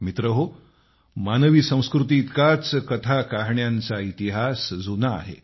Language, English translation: Marathi, Friends, the history of stories is as ancient as the human civilization itself